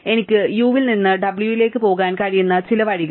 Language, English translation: Malayalam, So among all the ways I can go from u to w